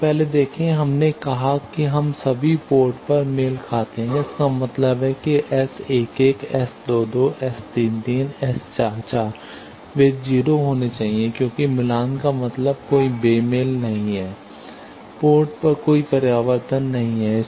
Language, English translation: Hindi, You see first we said we matched at all ports; that means, the S 11, S 22, S 33, S 44, they should be 0 because match means there is no mismatch, no reflections at the ports